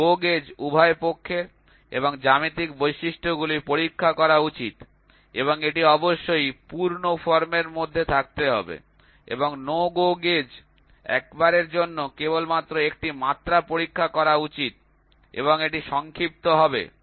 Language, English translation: Bengali, A GO gauge should check both sides and the geometric features and that must be in full form and no GO gauge should check only one dimension at a time and it will be short